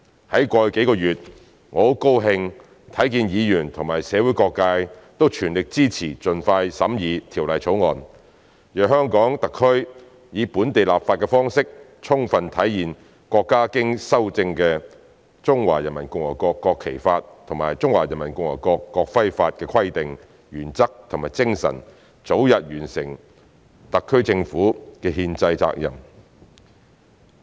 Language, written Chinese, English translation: Cantonese, 在過去幾個月，我很高興看見議員及社會各界都全力支持盡快審議《條例草案》，讓香港特區以本地立法的方式，充分體現國家經修正的《中華人民共和國國旗法》及《中華人民共和國國徽法》的規定、原則和精神，早日完成特區政府的憲制責任。, I am delighted to see that Members and different sectors of society fully supported the expeditious scrutiny of the Bill in the past few months so that the Hong Kong Special Administrative Region HKSAR can fully demonstrate the provisions principles and spirit of the amended Law of the Peoples Republic of China on the National Flag and the amended Law of the Peoples Republic of China on the National Emblem by way of local legislation thereby fulfilling the constitutional responsibility of the SAR Government as early as possible